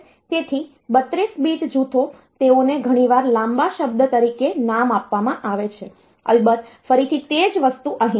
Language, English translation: Gujarati, So, 32 bit groups, they are often named as long word of course, again the same thing